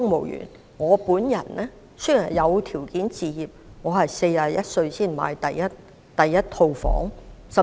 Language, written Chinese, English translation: Cantonese, 以我為例，雖然有條件置業，但我也要在41歲時才買入第一個單位。, Take me as an example . Despite the fact that I could afford acquiring properties I bought my first residential property at the age of 41